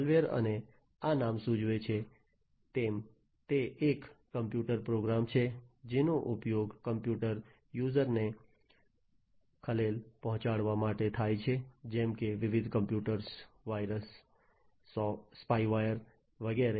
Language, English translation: Gujarati, Malware, and as this name suggests it is a computer program which is used to disturb the computer user such as different computer viruses, spyware and so on